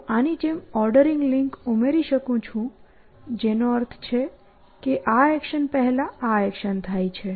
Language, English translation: Gujarati, And I can add an ordering link like this which means this action happens before this action